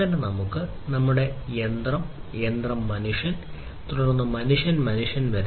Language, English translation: Malayalam, So, we have machine to machine, machine to human, and then human to human